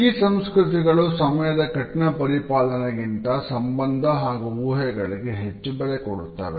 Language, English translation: Kannada, These cultures value relationship and predictions more than they value rigidity towards time